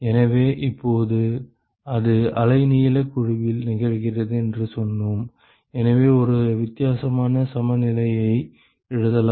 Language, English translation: Tamil, So, now we said that it is occurring in wavelength band, and therefore, we can write a differential balance